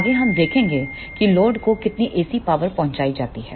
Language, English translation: Hindi, Next we will be seeing the how much AC power is delivered to the load